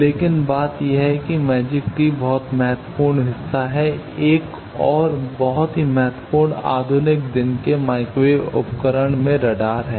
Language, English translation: Hindi, But the thing is magic tee is very important part, in another very important modern day microwave instrument that is radar